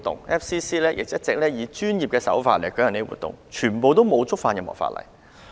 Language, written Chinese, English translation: Cantonese, 外國記者會亦一直以專業的手法舉行活動，從來未曾觸犯任何法例。, FCC always organizes its functions in a professional manner and has never violated any law